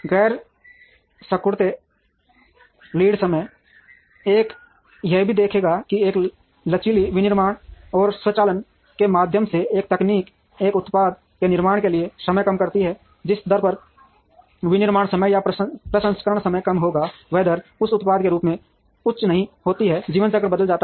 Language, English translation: Hindi, Non shrinking lead times, one would also observe that even though a technology through a flexible manufacturing and automation, brings down the time to manufacture a product, the rate at which manufacturing times or processing times reduce is not as high as the rate in which product life cycles change